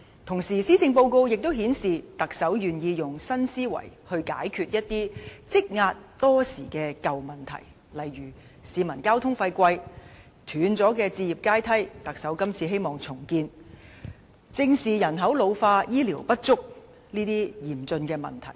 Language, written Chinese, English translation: Cantonese, 同時，施政報告亦顯示，特首願意以新思維來解決一些積壓多時的舊問題，例如昂貴的交通費、斷裂的置業階梯——特首希望能重建，以及正視人口老化、醫療服務不足等嚴峻問題。, The Policy Address also reveals that the Chief Executive is willing to offer innovative solutions to resolve long - standing old problems such as high transportation expenses a broken housing ladder which the Chief Executive wants to rebuild an ageing population and inadequate health care services . All these problems are serious indeed